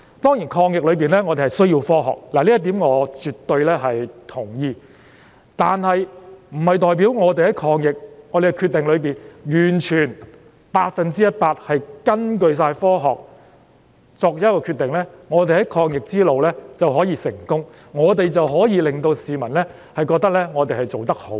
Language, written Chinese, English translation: Cantonese, 當然，在抗疫中，我們需要科學，這點我絕對同意，但是，這不代表我們完全百分之一百根據科學作出決定，便可以在抗疫路上取得成功，可以令市民覺得我們做得好。, Of course we need science in our fight against the pandemic . I absolutely agree with this point . However it does not mean that making decisions one hundred percent based on science will enable us to achieve success in the fight and gain public recognition for our efforts